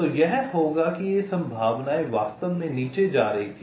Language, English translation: Hindi, so it will be this probability were actually go down